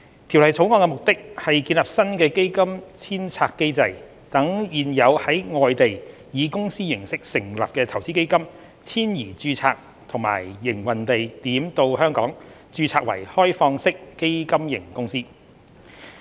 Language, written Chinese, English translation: Cantonese, 《條例草案》的目的，是建立新的基金遷冊機制，讓現有在外地以公司形式成立的投資基金遷移註冊及營運地點到香港，註冊為開放式基金型公司。, The objective of the Bill is to set up a new fund re - domiciliation mechanism to enable existing investment funds set up in corporate form elsewhere to move their establishment and operation to Hong Kong and register in Hong Kong as Open - ended Fund Companies OFCs